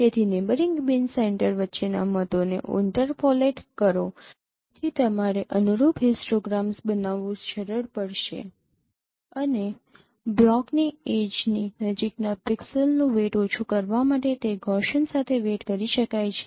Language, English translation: Gujarati, So interpolate boards between neighboring bin centers you have to smooth the corresponding histograms and it could be weighted with Gaussian to down weight the pixels near the edges of the block